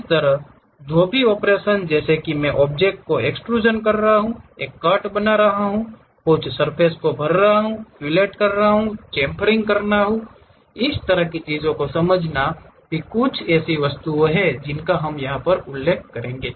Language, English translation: Hindi, Similarly, whatever the operations like whether I am extruding the object, making a cut, fill filling some surface, filleting, chamfering this kind of things are also some of the objects it will mention